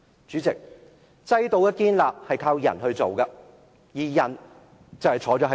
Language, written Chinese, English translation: Cantonese, 主席，制度的建立是靠人來做的，而人就坐在這裏。, President systems are built by people by those people who are sitting here